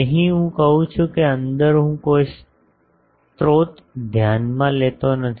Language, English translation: Gujarati, Here I say that inside I do not consider any sources